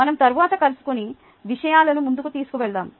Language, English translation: Telugu, lets meet next and take things forward